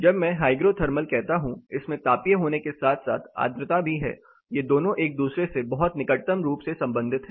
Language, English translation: Hindi, When I say hygro thermal it is thermal as well as moisture, more or less both of these are very closely related to each other